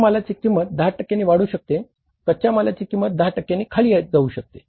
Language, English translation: Marathi, Cost of raw material can go up by 10 percent